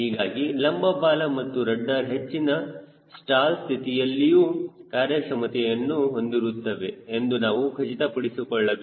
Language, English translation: Kannada, so we have to ensure that the vertical tail and rudder are effective even at high stall conditions